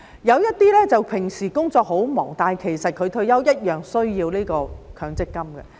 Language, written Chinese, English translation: Cantonese, 有些人平時工作很忙，但他退休時同樣需要強積金。, Some people are always busy at work but they need their MPF for retirement all the same